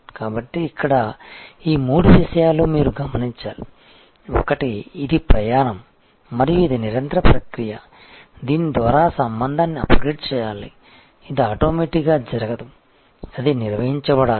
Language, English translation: Telugu, So, obviously, therefore, this the three things that you should notice here, one is that it is a journey and it is a continuous process by which the relationship needs to be upgraded, it does not automatically happen, it has to be managed